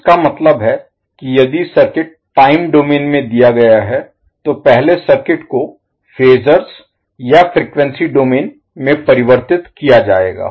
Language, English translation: Hindi, That means if the circuit is given in time domain will first convert the circuit into phasor or frequency domain